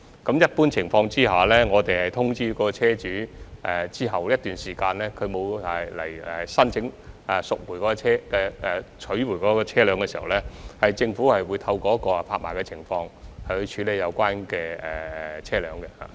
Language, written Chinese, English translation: Cantonese, 在一般情況下，在通知車主一段時間後，如果車主沒有申請取回車輛，政府會透過拍賣來處理有關車輛。, Under normal circumstances the Government will dispose of the vehicle by way of auction after notifying the owner who has not applied for collecting the vehicle for a certain period of time